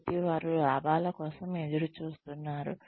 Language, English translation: Telugu, So, they are looking for profits